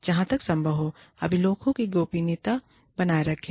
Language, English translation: Hindi, And, please maintain confidentiality, of the records, as far as possible